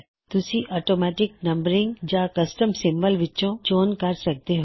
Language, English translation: Punjabi, You can choose between automatic numbering or a custom symbol